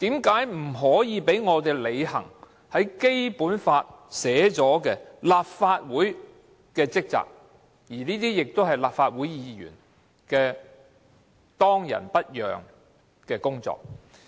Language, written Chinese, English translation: Cantonese, 為何不讓我們履行《基本法》內訂明立法會的職責及立法會議員當仁不讓的工作？, Why are we not allowed to perform the functions of the Legislative Council as provided for in the Basic Law and undertake the due duties of Legislative Council Members?